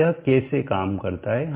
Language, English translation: Hindi, So this is how it goes on